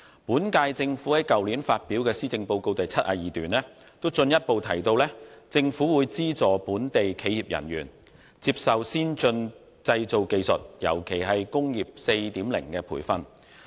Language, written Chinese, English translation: Cantonese, 本屆政府於去年發表的施政報告第72段進一步提到，政府會"資助本地企業人員接受先進製造技術，尤其是'工業 4.0' 的培訓"。, In paragraph 72 of the Policy Address released last year the current - term Government further stated that it will provide funding to subsidize local enterprises for training their staff on advanced manufacturing technologies especially those related to Industry 4.0